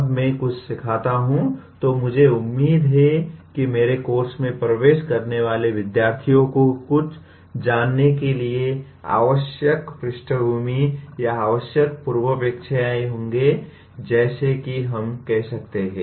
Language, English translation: Hindi, When I teach something, I am expecting the student entering into my course to know something, to have the required background or required prerequisites as we call it